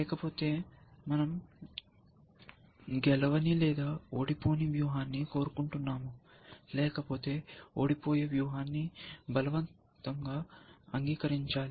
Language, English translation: Telugu, Otherwise we want the strategy it will draw the game, otherwise we are force to accept a loosing strategy